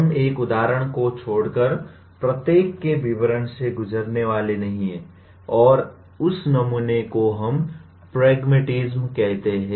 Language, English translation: Hindi, We are not going to go through the details of each except to give an example of one and that sample we call it “pragmatism”